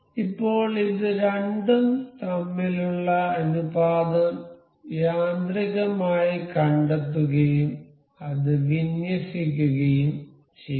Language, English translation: Malayalam, Now, it will automatically detect the ratio between these two and we it is aligned